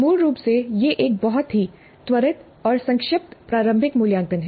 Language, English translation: Hindi, So basically, it's a very quick and short, formative assessment